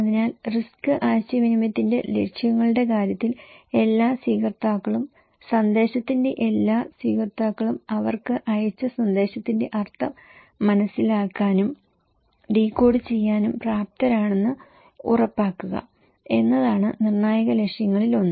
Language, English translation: Malayalam, So, in case of objectives of the risk communication; one of the critical objective is to make sure that all receivers, all receivers of the message are able and capable of understanding and decoding the meaning of message sent to them